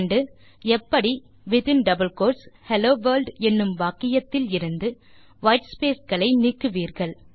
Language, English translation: Tamil, How will you remove the extra whitespace in this sentence Hello World 3